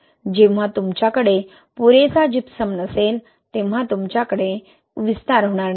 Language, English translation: Marathi, When you do not have enough Gypsum, you will not have expansion